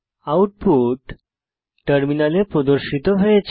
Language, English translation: Bengali, The following output is displayed on the terminal